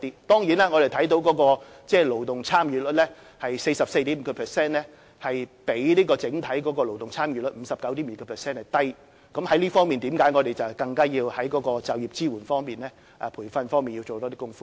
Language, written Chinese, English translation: Cantonese, 當然，我們看到勞動參與率是 44.5%， 比整體勞動參與率 59.2% 為低，正因為這樣我們要在就業支援及培訓方面多做工夫。, It is true that the labour participation rate of 44.5 % is lower than the overall labour participation rate of 59.5 % . It is precisely because of this that we have to make greater efforts in employment assistance and training